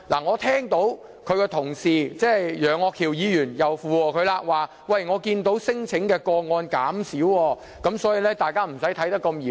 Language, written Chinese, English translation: Cantonese, 我聽到他的同事——楊岳橋議員——附和他，表示看到聲請個案減少，所以，大家不要看得這麼嚴重。, And I heard that another Member Mr Alvin YEUNG has shared his views saying that the number of claims has dropped . Therefore he said we do not have to take this too seriously